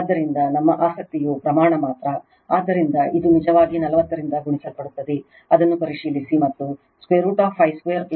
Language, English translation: Kannada, So, our interest magnitude only, so this one actually it will be multiplied by 40 you just check it right, and root over 5 square plus 31